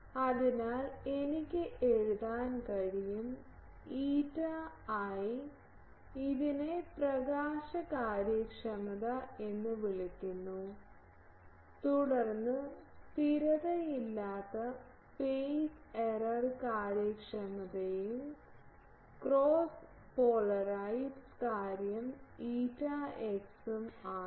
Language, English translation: Malayalam, So, I can write eta is eta i this is called illumination efficiency, then non constant phase is phase error efficiency and cross polarised thing is eta x